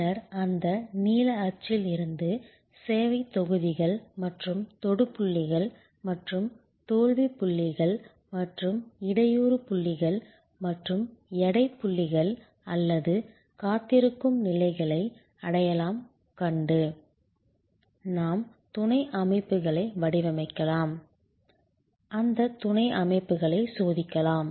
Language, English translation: Tamil, Then, from that blue print by identifying the service blocks and the touch points and the fail points and the bottleneck points and the weight points or the waiting stages, we can then design subsystems, test those subsystems